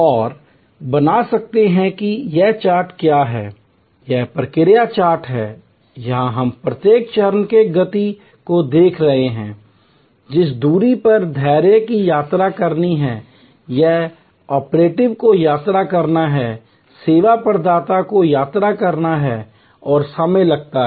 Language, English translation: Hindi, And can create what is this chart, this is the process chart here we are looking at each step the motion, the distance the patience has to travel or the operative has to travel, service provider has to travel and the time it takes